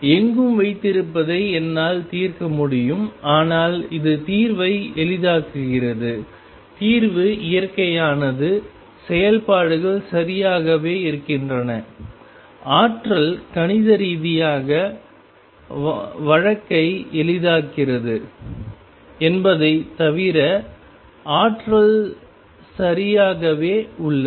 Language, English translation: Tamil, I can solve it keeping anywhere but this makes the solution easier; the solution nature remains exactly the same the functions remain exactly the same, energy is remain exactly the same except that makes life easy mathematically